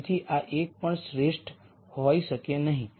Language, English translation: Gujarati, So, this cannot be an optimum either